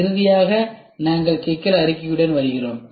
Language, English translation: Tamil, Then, comes the problem statement